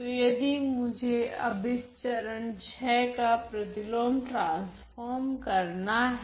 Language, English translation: Hindi, So, if I were to now take the inverse transform of this step number VI